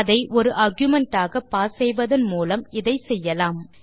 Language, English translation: Tamil, This is achieved by passing that as an argument